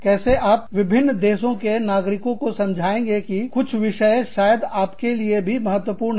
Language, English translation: Hindi, How do you convince people, in different countries, that some issues may be important for you